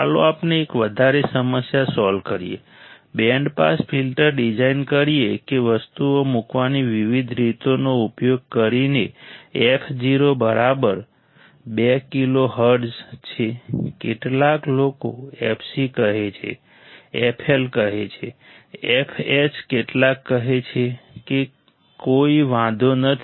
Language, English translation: Gujarati, Let us solve one more problem, design a band pass filter show that f o equals to 2 kilo hertz using different way of putting the things, some people say f c some say f L, f H some say f o right does not matter